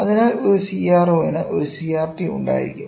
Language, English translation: Malayalam, So, a CRO will have a CRT